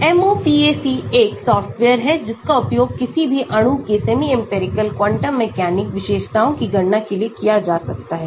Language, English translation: Hindi, MOPAC is a software which can be used for calculating the semi empirical quantum mechanic features of any molecule